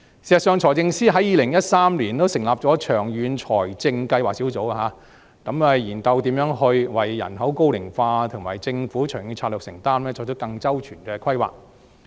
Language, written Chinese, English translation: Cantonese, 事實上，財政司司長在2013年成立長遠財政計劃工作小組，研究如何為人口高齡化及政府長遠的財政承擔，作出更周全的規劃。, As a matter of fact the Financial Secretary set up the Working Group on Long - Term Fiscal Planning in 2013 to study how the Government should plan for the ageing population and its long - term financial undertaking